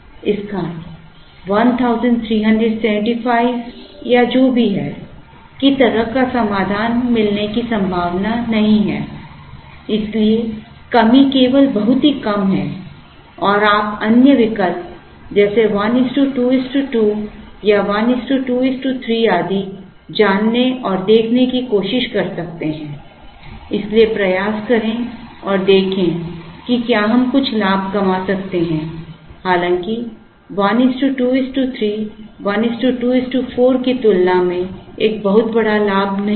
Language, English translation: Hindi, It its little unlikely to have a solution which is 1375 or whatever, so the decrease is only very minimal and one can try and look at you know, other alternatives like 1 is to 2 is to 2 or 1 is to 2 is to 3 and so on and try and see whether we could make some gains, though 1 is to 2 is to 3 is not a great advantage compared to 1 is to 2 is to 4